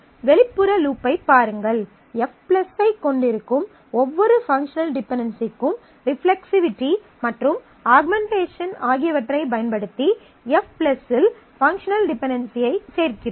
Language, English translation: Tamil, Look at the outer loop, every functional dependency that we have F+ now will apply reflexivity and augmentation and add the resulting functional dependency in F+